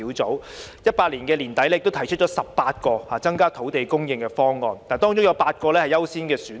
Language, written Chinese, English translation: Cantonese, 專責小組在2018年年底提出18個增加土地供應的方案，當中有8個優先選項。, At end - 2018 the Task Force put forward 18 proposals that could increase land supply among them eight were priority options